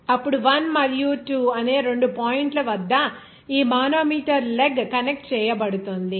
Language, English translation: Telugu, Then at the two point 1 and 2, this manometer leg will be connected